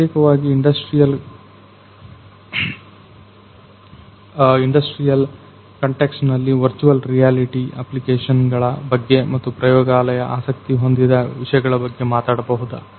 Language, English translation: Kannada, So, could you talk about some of the applications of virtual reality particularly in the industrial context and more specifically something that the lab is interested in